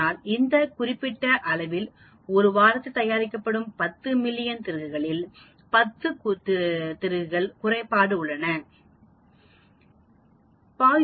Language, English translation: Tamil, So there are 10 defective screws out of 1 million screws that are manufactured in this particular week